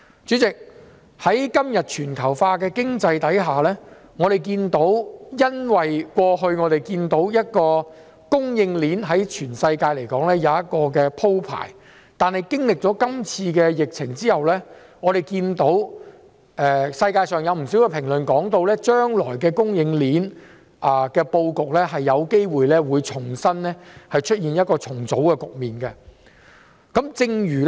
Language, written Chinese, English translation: Cantonese, 主席，在全球化的經濟環境下，我們過去看到供應鏈在全世界也有一個鋪排，但經歷今次疫情後，全球有不少評論指出，將來供應鏈的布局有機會進行重組。, President in the past we could see the layout of global supply chains against the background of economic globalization . However as pointed out by many commentators around the world the layout of supply chains will probably be restructured in the future after this epidemic